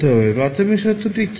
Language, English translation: Bengali, What was the initial condition